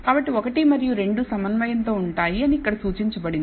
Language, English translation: Telugu, So, 1 and 2 are concordant that is what is indicated here